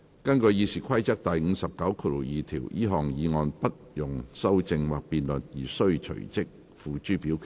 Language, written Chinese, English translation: Cantonese, 根據《議事規則》第592條，這項議案不容修正或辯論而須隨即付諸表決。, In accordance with Rule 592 of the Rules of Procedure the motion shall be voted on forthwith without amendment or debate